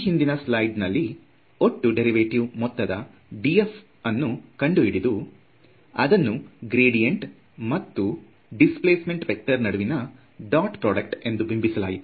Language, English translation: Kannada, So, from the previous slide we have calculated this total derivative d f and wrote it as a dot product between the gradient over here and the displacement vector over here